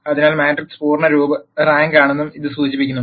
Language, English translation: Malayalam, So, this implies that the matrix is full rank